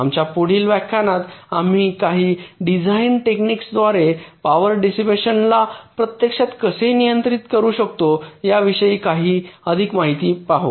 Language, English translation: Marathi, in our next lectures we shall be moving in to some more details about how we can actually control power dissipations by some design techniques